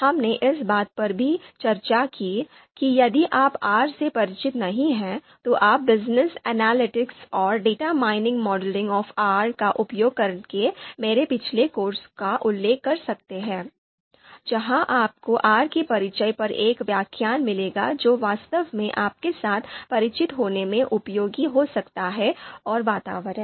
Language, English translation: Hindi, We also talked about if you are not familiar with R, then you can refer to my previous course on Business Analytics and Data Mining Modeling using R where you would find a lecture on introduction to R that could be really useful for yourself to familiarize the R environment and what is required for this course as well